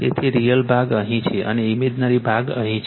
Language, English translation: Gujarati, So, real part is here and imaginary part is here right